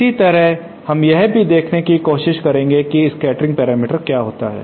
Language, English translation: Hindi, Similarly let us try to see what happens for the scattering parameters